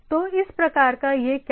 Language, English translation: Hindi, So, this type of what it is doing